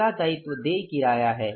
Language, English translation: Hindi, Next liability is the rent payable